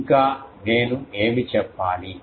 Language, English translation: Telugu, And what else I need to say